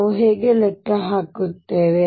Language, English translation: Kannada, How do we calculate